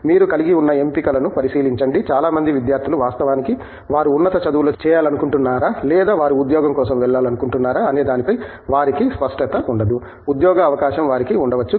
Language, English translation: Telugu, You look at the options that you have, many of the students actually will probably not be clear whether they want to do higher studies or whether they want to go for a job, may be they have a job offer you know